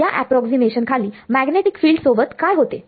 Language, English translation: Marathi, Under this approximation, what happens to the magnetic field